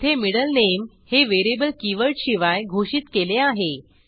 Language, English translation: Marathi, Now, here the variable middle name is declared without keyword